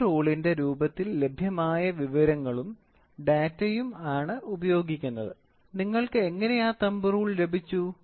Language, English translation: Malayalam, The information and data available in the form of thumb rule; how did you get that thumb rule